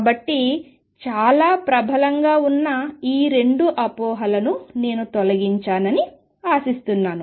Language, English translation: Telugu, So, I hope I have cleared these 2 misconceptions which are quite prevalent